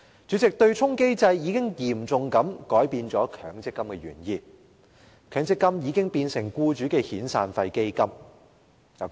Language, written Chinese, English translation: Cantonese, 主席，對沖機制已嚴重改變強積金的原意；強積金已變成僱主的遣散費基金。, President the offsetting mechanism has severely altered the original intent of MPF . MPF has become a fund for employers to make severance payments